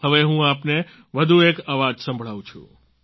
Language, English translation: Gujarati, Now I present to you one more voice